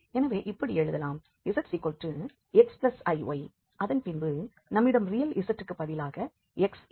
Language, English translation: Tamil, So, which we can write, so z is x plus iy and then we have x for the real z